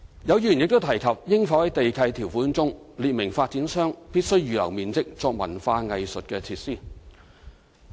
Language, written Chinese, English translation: Cantonese, 有議員亦提及應否在地契條款中，列明發展商必須預留面積作文化藝術設施。, Some Members suggested whether conditions in land leases should be added to require developers to reserve some area for cultural and arts facilities